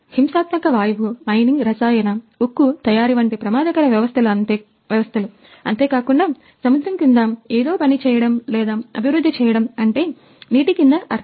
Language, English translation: Telugu, And hazardous systems like a violent gas, mining, chemical, steel manufacturing even in when working or developing something below the sea that mean under the water